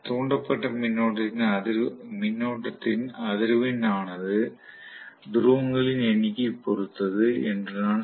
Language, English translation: Tamil, So, I would say the frequency of the induced current will depend upon the number of poles